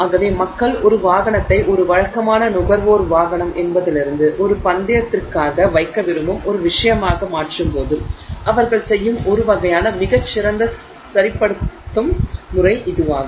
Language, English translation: Tamil, So, that is the kind of fine tuning that people do when they convert a vehicle from a say, you know, typical consumer vehicle to something that they want to put it for race